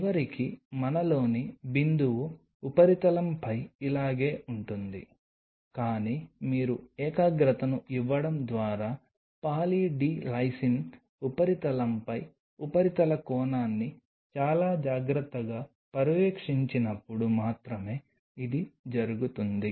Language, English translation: Telugu, So, it means eventually the droplet us of will be more like this on the substrate, but then that will only happen when you very carefully monitor the surface angle on Poly D Lysine surface by giving concentration